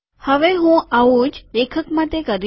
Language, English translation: Gujarati, Now I will do the same thing for author